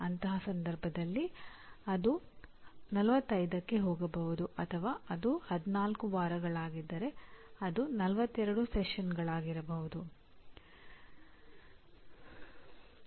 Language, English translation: Kannada, In that case it will slightly go up to 45 or it may be if it is 14 weeks it could be 42 sessions